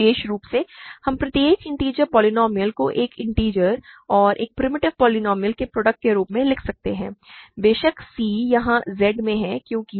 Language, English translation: Hindi, In particular we can write every integer polynomial as a product of an integer and a primitive polynomial; of course, c is in Z here because